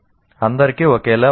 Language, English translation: Telugu, And is it the same for all